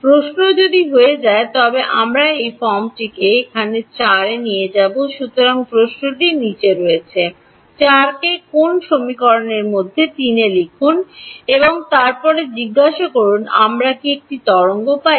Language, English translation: Bengali, Question will become if so, we will take this form over here 4, so the question is as follows; put 4 in to which equation, into 3 and then ask do we get a wave